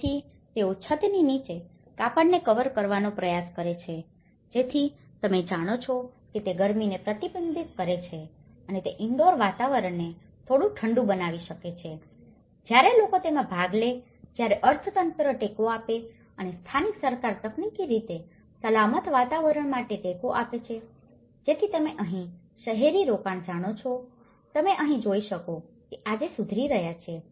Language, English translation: Gujarati, So, they try to cover a cloth under the roof so that it can you know reflect the heat and it can make the indoor environment a little cooler and when people are participant in this, when the economy is giving support and the local government is technically giving support for a safer environments, so that is where you know the urban investments what you can see here today is they are improving